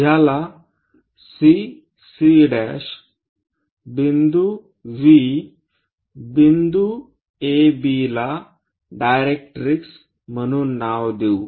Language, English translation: Marathi, Let us name this is CC prime V point A B point as directrix